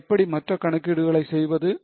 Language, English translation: Tamil, So, how to do other calculations